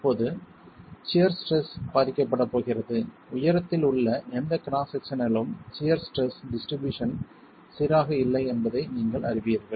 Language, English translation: Tamil, Now the shear stress is going to be affected by the you know that the shear stress distribution in any cross section along the height is not uniform